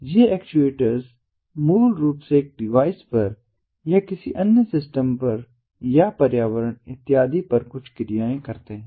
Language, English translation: Hindi, these actuators basically perform certain actions on the environment, on another system, on a device and so on